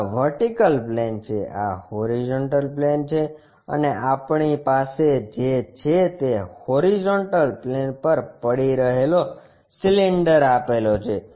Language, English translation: Gujarati, This is the vertical plane, this is the horizontal plane, and what we have is cylinder resting on horizontal plane